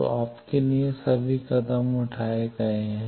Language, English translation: Hindi, So, all the steps are done for you